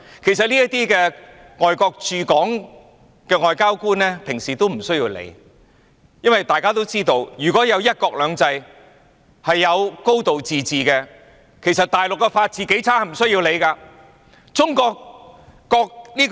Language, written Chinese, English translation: Cantonese, 其實，對於這些問題，外國的駐港外交官平常是無須理會的，因為大家也知道，如果有"一國兩制"和"高度自治"，即使大陸的法治是多麼的差劣也不用理會。, In fact these issues are generally not of concern to foreign diplomats in Hong Kong because as we all know so long as one country two systems and a high degree of autonomy prevail the rule of law in the Mainland however bad it is still gives no cause for our concern